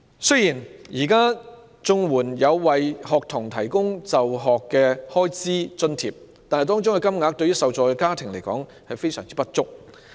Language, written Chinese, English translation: Cantonese, 雖然現時綜援有為學童提供就學開支津貼，但相關金額對受助家庭來說十分不足。, Although school grants are now provided for students under CSSA the relevant amount is way too insufficient for the recipient families